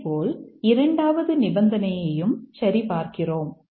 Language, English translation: Tamil, Similarly, let's look at the second clause